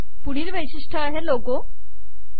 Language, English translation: Marathi, The next one is logo